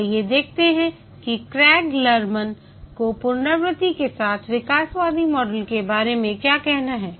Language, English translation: Hindi, Let's see what Craig Lerman has to say about evolutionary model with iteration